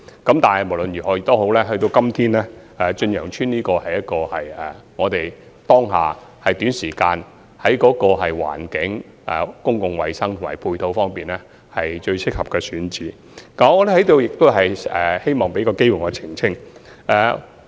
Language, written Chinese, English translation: Cantonese, 然而，無論如何，到了今天，在當下短時間內，駿洋邨在環境、公共衞生及配套方面是最適合的選址。此外，我在此亦希望作出澄清。, However in any case Chun Yeung Estate is now the most suitable site available within such a short time in terms of environment public health and supporting facilities